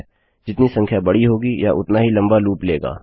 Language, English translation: Hindi, The bigger the number, the longer it will take to loop Lets take 6000